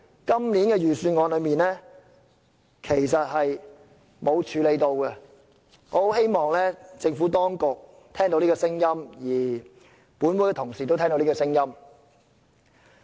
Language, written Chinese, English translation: Cantonese, 今年的預算案並沒有處理這事，我希望政府當局和本會同事都聽到我的意見。, This issue is not addressed in the Budget this year but I hope both the Administration and Honourable colleagues have heard my views